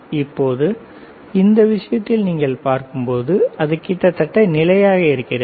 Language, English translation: Tamil, Now in this case, when you see it is almost constant